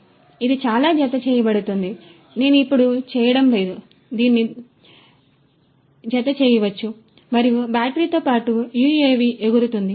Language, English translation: Telugu, So, it will be attached like this I am not doing it now, but you know it could be attached to this and the UAV along with the battery is going to fly